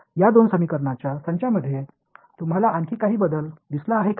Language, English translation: Marathi, Do you notice any other change between these two sets of equations